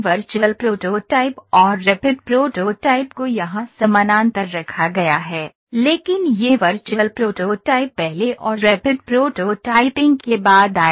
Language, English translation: Hindi, Virtual prototyping and rapid prototyping are put parallel here, but this virtual prototyping would come first and rapid prototyping later